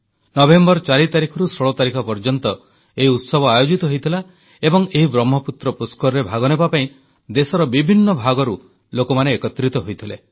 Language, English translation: Odia, This festival was held between 4th and 16th November, and people had come from all corners of the country to take part in this Brahmaputra Pushkar